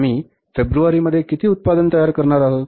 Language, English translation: Marathi, In the month of February, we will sell this much